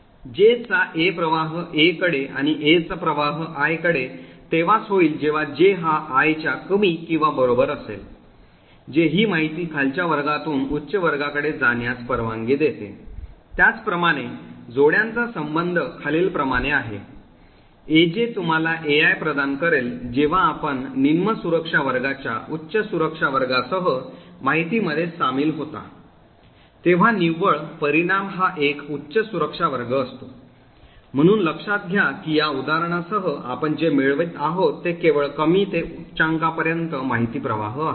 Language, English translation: Marathi, A of J flows to A of I only if J is less than or equal to I this would permit information flow from a lower class to a higher class, similarly the join relationship is defined as follows, AI joins with AJ would give you AI that is when you join information from a lower security class with a higher security class the net result is an object the higher security class, so note that with this example what we are achieving is information flow from low to high only